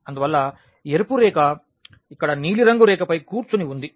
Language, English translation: Telugu, And therefore, we get this line the red line is sitting over the blue line here